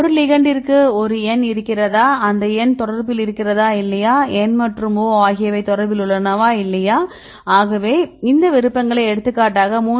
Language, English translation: Tamil, Whether the ligands right there is a N and this N are in contact or not N and O are in contact or not So, they get these preference based on distance right then you see the any specific distance for example, 3